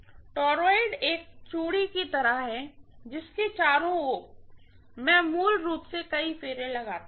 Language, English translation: Hindi, Toroid like a bangle around which I am going to wind many turns basically